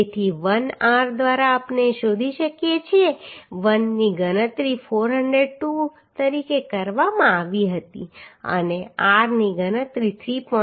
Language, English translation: Gujarati, 464 right So l by r we can find out l was calculated as 402 and r was calculated as 3